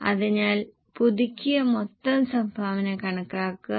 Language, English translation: Malayalam, So, compute the revised total contribution